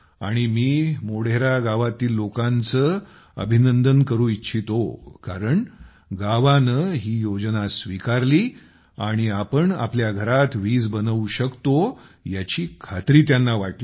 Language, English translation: Marathi, And I would like to congratulate the people of Modhera because the village accepted this scheme and they were convinced that yes we can make electricity in our house